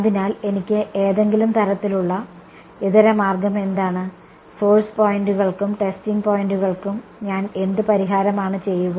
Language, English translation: Malayalam, So, what is my sort of alternate, what is the solution that I will do for source points and testing points